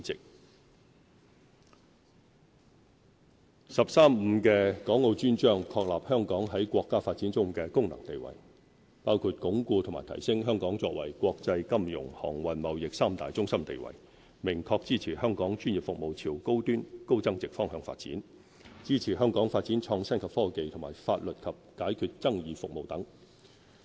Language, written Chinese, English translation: Cantonese, 國家十三五規劃"十三五"的《港澳專章》，確立香港在國家發展中的功能定位，包括鞏固和提升香港作為國際金融、航運、貿易三大中心地位；明確支持香港專業服務朝高端高增值方向發展，支持香港發展創新及科技和法律及解決爭議服務等。, The Dedicated Chapter on Hong Kong and Macao in the National 13 Five - Year Plan acknowledges the functions and positioning of Hong Kong in our countrys development by pledging support for Hong Kong to consolidate and enhance our status as an international financial transportation and trade centre . The chapter expresses clear support for our professional services to move towards high - end and high value - added developments and for the development of our innovation and technology as well as legal and dispute resolution services etc